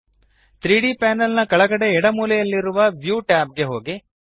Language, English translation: Kannada, Go to view tab in the bottom left corner of the 3D panel